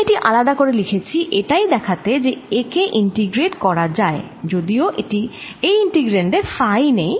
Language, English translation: Bengali, i wrote this explicitly out here just to show that this can be integrated over, because in the integrant there is no phi